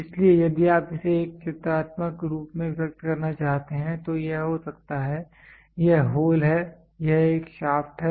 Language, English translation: Hindi, So, if you wanted to express it in a pictorial form, so then it can be this is hole this is a shaft